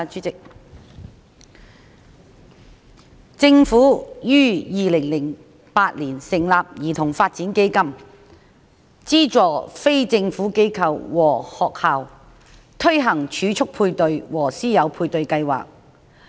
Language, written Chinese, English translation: Cantonese, 政府於2008年成立兒童發展基金，資助非政府機構和學校推行儲蓄配對和師友配對計劃。, The Government set up the Child Development Fund CDF in 2008 to provide funding to non - governmental organizations and schools for implementing matching funds for savings programmes and mentorship programmes